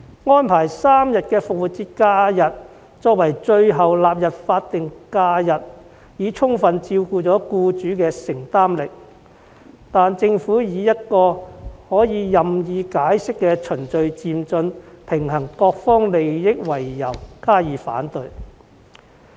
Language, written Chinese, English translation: Cantonese, 以3天復活節假期作為最後納入法定假日的安排已充分顧及僱主的承擔能力，但政府以可作任意解釋的"循序漸進，平衡各方利益"為由加以反對。, The arrangement of setting three days of Easter holidays as the last SHs to be added was made with ample consideration given to employers affordability . However the Government relies on the liberal interpretation of a progressive and orderly manner and balancing the interests of all sides to justify its opposition